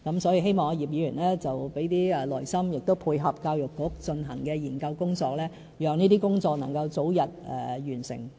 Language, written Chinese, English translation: Cantonese, 所以，希望葉議員給點耐性，配合教育局進行的研究工作，讓這些工作能夠早日完成。, So I hope Mr IP can be patient and support the studies conducted by the Education Bureau so that we can complete these tasks as early as possible